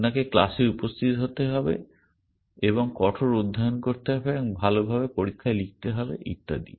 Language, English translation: Bengali, You have to attend classes and study hard and write exams well and so on